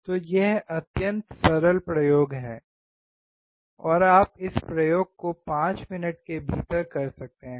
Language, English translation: Hindi, So, this is extremely simple experiment, and you can perform this experiment within 5 minutes